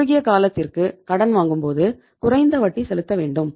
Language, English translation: Tamil, If you borrow for the short period you have to pay the lesser rate of the interest